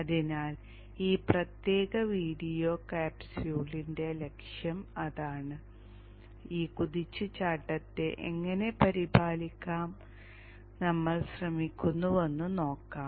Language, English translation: Malayalam, So that is the objective of this particular video capsule and we shall see how we try to take care of this search current